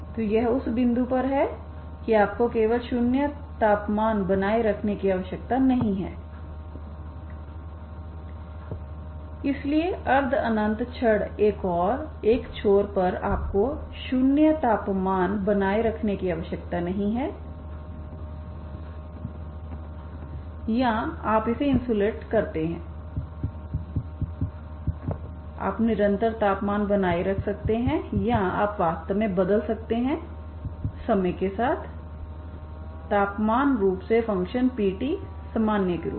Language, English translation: Hindi, So this is at that point you need not be simply you need not maintain the 0 temperature, so the semi infinite rod at one end you need not maintain the 0 temperature or you insulate it you can maintain a constant temperature or you can actually change the temperature over the time so as the function P of t in general